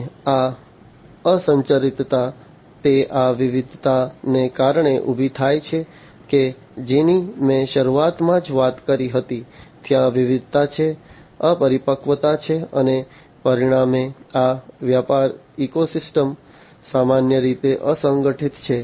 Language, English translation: Gujarati, And this unstructuredness, it arises because of this diversity that I talked about at the very beginning, there is diversity, there is immaturity, and as a result of which these business ecosystems, are typically unstructured